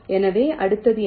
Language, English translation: Tamil, so what next